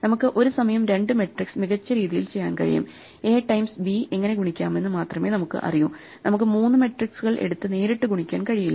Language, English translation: Malayalam, So, we can at best do two matrices at a time, we only know how to multiply A times B, we cannot take three matrices and directly multiply them